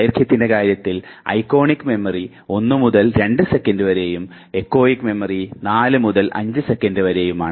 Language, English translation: Malayalam, Iconic memory, in terms of duration it just 1 to 2 seconds, whereas echoic memory in terms of duration it is 4 to 5 seconds